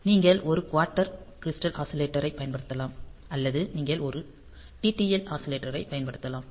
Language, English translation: Tamil, So, you can use a quartz crystal oscillator or you can use a TTL oscillator